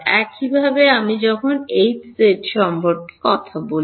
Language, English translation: Bengali, Similarly, when I talk about H z I am doing